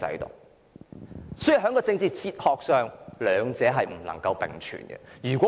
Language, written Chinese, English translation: Cantonese, 因此，在政治哲學上，兩者不能並存。, Therefore from the perspective of political philosophy the two cannot co - exist